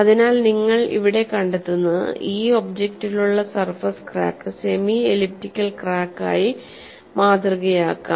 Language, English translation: Malayalam, So what you find here is the surface crack which is present in this object can be model as a semi elliptical crack